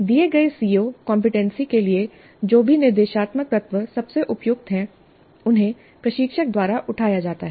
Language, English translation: Hindi, Whatever instructional components are best suited for the given CO or competency are picked up by the instructor